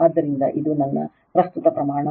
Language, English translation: Kannada, So, this is my current magnitude